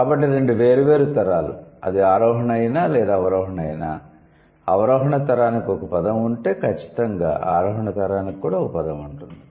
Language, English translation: Telugu, So, two different generations, whether it is the ascending or descending, if it is there, if there is a word for the descending generation, it will definitely have a word for the ascending generation